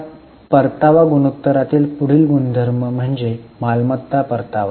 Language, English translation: Marathi, Now the next ratio in the return ratios is return on assets